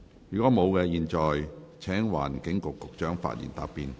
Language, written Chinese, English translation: Cantonese, 如果沒有，我現在請環境局局長發言答辯。, If not I now call upon the Secretary for the Environment to reply